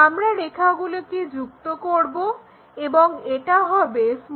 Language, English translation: Bengali, If, we are joining those lines and this one will be our a b